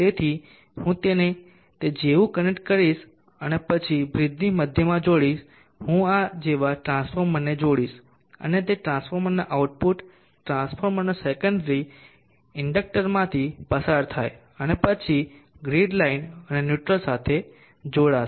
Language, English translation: Gujarati, So I will connect it like that and then the center of the bridge I will connect the transformer like this and output of a transformer secondary the transformer go through the inductor and then to the line and neutral of the grid